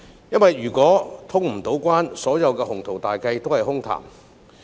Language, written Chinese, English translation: Cantonese, 如果無法通關，所有的鴻圖大計都是空談。, If cross - boundary travel cannot be resumed all impressive plans will become empty talk